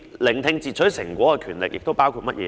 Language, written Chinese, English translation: Cantonese, 聆聽截取成果的權力包括甚麼呢？, What does the power to listen to interception products cover?